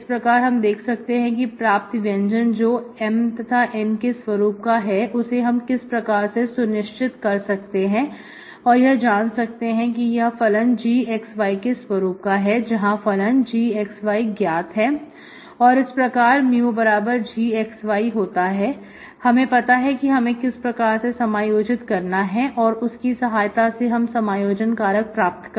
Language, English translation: Hindi, Then , we have seen what exactly the expressions in terms of M and N to check, so when you check that expression should be function of this G of x, y, known function G of x, y, then mu of G of x, y, you know how to integrate, so you can find that integrating factor